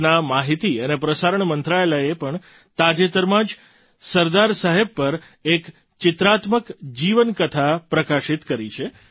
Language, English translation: Gujarati, The Information and Broadcasting Ministry of the country has recently published a pictorial biography of Sardar Saheb too